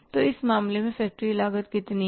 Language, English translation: Hindi, So factory cost incurred in this case is how much